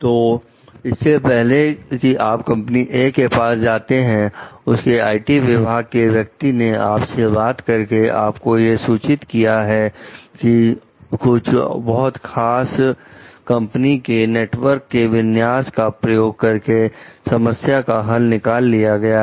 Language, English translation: Hindi, So, before you got back to company A, its IT person called to inform you that he had solved the issue by using a very specific configuration of companies A s networks